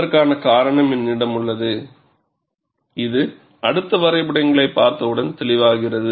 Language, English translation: Tamil, I have a reason for it, which shall become clear, once we see the next set of graphs